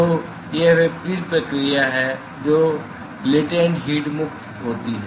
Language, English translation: Hindi, So, it is the reverse process where the latent heat is liberated